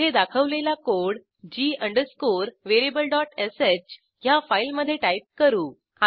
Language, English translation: Marathi, Type the code as shown here, in your g variable.sh file